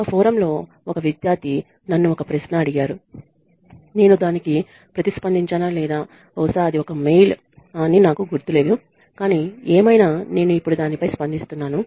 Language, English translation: Telugu, One of the students had asked me a question on a forum that I am not sure if I responded to it or probably it was a mail but anyway I am responding to it now